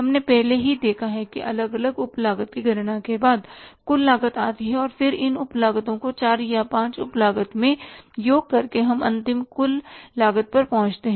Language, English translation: Hindi, We have seen already that the total cost is arrived at after calculating the different sub costs and then summing up these subcores, 4 or 5 sub costs we arrive at the final total cost